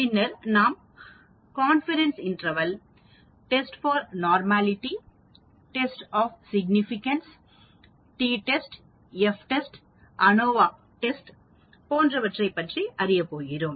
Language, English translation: Tamil, Then we are going to look at something called Confidence interval, Test for normality, Tests of significance, different types test, t test, F test, ANOVA test